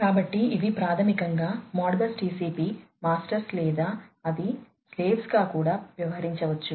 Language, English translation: Telugu, So, these basically would be the Modbus TCP masters or they can even act as the slaves